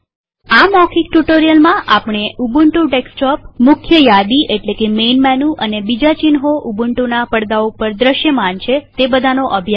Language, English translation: Gujarati, In this tutorial we learnt about the Ubuntu Desktop, the main menu and the other icons visible on the Ubuntu screen